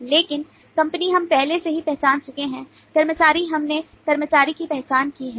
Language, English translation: Hindi, but company, we have already identified employee